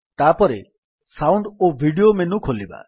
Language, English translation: Odia, Then lets explore Sound Video menu